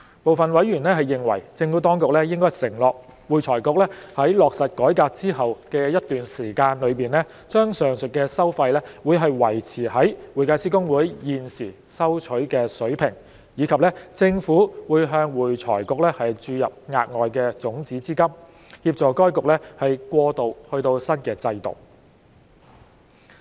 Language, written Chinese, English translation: Cantonese, 部分委員認為，政府當局應承諾會財局在落實改革之後的一段時間內，把上述的收費維持於會計師公會現時收取的水平，以及政府會向會財局注入額外種子資金，協助該局過渡至新制度。, Some members consider that the Administration should provide undertakings that AFRC will maintain HKICPAs current level of fees in respect of the aforesaid fees for a certain period of time after implementation of the reform and that the Government will inject additional seed capital into AFRC to help it migrate to the new regime